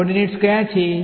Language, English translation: Gujarati, What are the coordinates